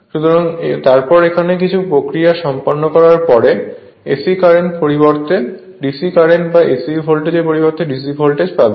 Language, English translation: Bengali, So, then by some mechanism then we can get that your what you call DC current, instead of your the AC current, or your AC voltage we will get DC voltage and DC current